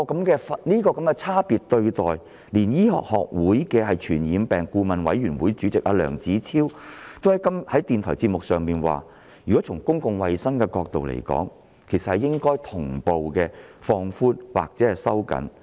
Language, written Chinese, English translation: Cantonese, 這種差別對待，連香港醫學會傳染病顧問委員會主席梁子超也在電台節目上指出，從公共衞生的角度而言，措施應同步放寬或收緊。, With regard to such a differential treatment even Dr LEUNG Chi - chiu Chairman of the Advisory Committee on Communicable Diseases of the Hong Kong Medical Association has pointed out in a radio programme that from the perspective of public health such measures should be relaxed or tightened concurrently